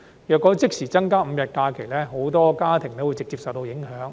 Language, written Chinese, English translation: Cantonese, 如果即時增加5日法定假日，很多家庭會直接受到影響。, If the five additional SHs are to be added immediately many families will be directly affected